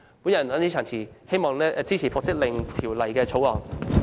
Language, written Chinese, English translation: Cantonese, 我謹此陳辭，希望大家支持《條例草案》。, I so submit and urge Members to support the Bill